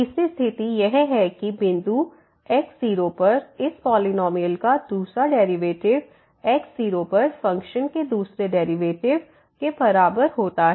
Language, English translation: Hindi, The third condition the second derivative of this polynomial at this point is equal to the second derivative of the function at the and so on